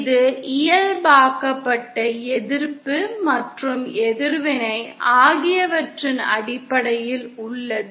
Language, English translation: Tamil, This is in terms of the normalised resistance and reactance